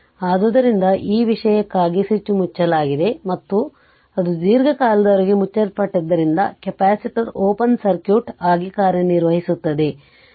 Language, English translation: Kannada, So, for this for this thing switch is closed; and for it was it remain closed for long time, so capacitor will act as open circuit